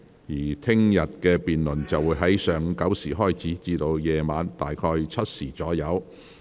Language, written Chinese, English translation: Cantonese, 明天的辯論會在上午9時開始，晚上7時左右暫停。, The debate for tomorrow will start at 9col00 am and be suspended at about 7col00 pm